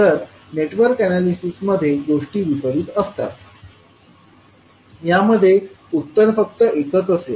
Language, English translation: Marathi, While in Network Analysis the things are opposite, there will be only one answer